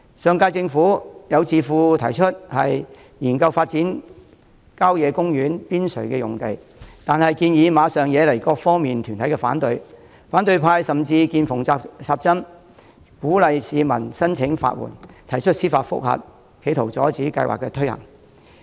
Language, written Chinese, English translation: Cantonese, 上屆政府任內，有智庫建議研究發展郊野公園邊陲用地，但馬上惹來各方團體反對，反對派甚至"見縫插針"，鼓勵市民申請法援，提出司法覆核，企圖阻止計劃推行。, During the tenure of the last term government a think tank suggested exploring the feasibility of developing the land on the periphery of country parks . The suggestion was immediately met with opposition from various organizations . The opposition camp even took advantage of the opportunity and encouraged members of the public to apply for legal aid to initiate judicial reviews so as to impede the proposal